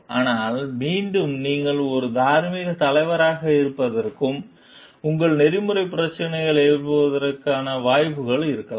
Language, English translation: Tamil, But, again there could be chances for you to be a moral leader, and raise your ethical issues concerns